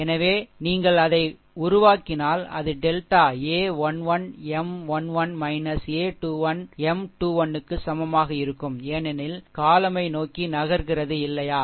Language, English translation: Tamil, So, if you make it, if you ah you are what you call if you make this one, then then it will be delta is equal to a 1 1 M 1 1 minus a 2 1 M 2 1 because we are moving towards the column, right